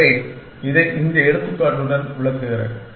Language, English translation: Tamil, So, let me illustrate this with this example